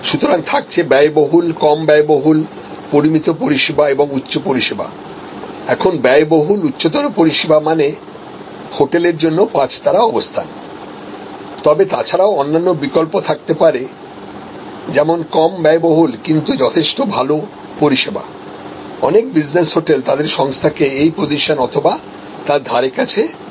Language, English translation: Bengali, So, expensive less expensive, moderate service and high service, so high service an expensive this is kind of a five star position for a hotel, but there can be multiple other choices like from example it can be less expensive, but reasonably good service many business hotel position themselves like this or are somewhere in this region